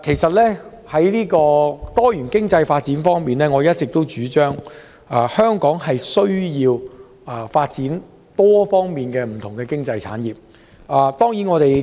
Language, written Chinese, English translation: Cantonese, 在多元經濟發展方面，我一直主張香港有需要在多方面發展不同經濟產業。, Insofar as diversified economic development is concerned I have been advocating the development of different industries in Hong Kong